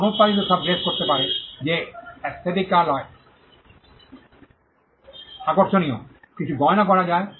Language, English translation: Bengali, Mass produced dresses anything that is aesthetically appealing, anything can be done jewelry